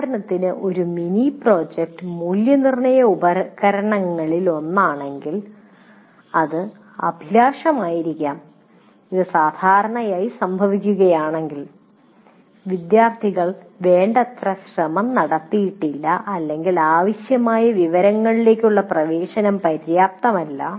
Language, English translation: Malayalam, For example, if a mini project constitutes one of the assessment instruments, it may have been ambitious, generally happens, not enough effort was put in by the students, or access to the required information was not adequate